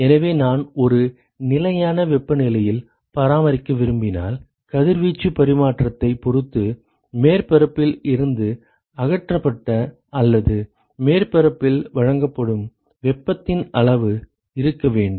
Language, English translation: Tamil, So, if I want to maintain at a constant temperature, then there has to be some amount of heat that is either removed from the surface or supplied to the surface depending upon the radiation exchange ok